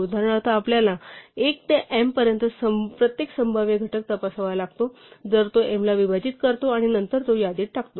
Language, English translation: Marathi, For instance we have to check for every possible factor from 1 to m if it divides m and then put it in the list